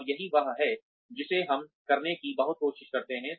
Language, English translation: Hindi, And, that is what, we try very very, hard to do